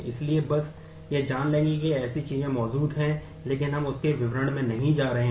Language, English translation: Hindi, So, just know that such things exist, but we are not going into the details of that